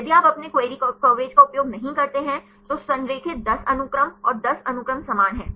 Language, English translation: Hindi, If you do not use your query coverage, the aligned 10 sequences and 10 sequences are same